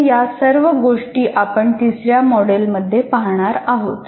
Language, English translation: Marathi, So these are the things that we will look at in module 3